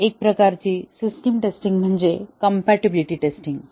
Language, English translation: Marathi, Another type of system testing is the compatibility testing